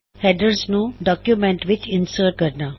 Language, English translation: Punjabi, How to insert headers in documents